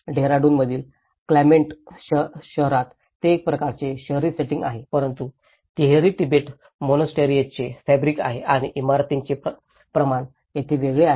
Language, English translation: Marathi, Whereas in Clement town in Dehradun it is more of a kind of urban setting but still it has a fabric of the Tibetan monasteries and the scale of the buildings is different here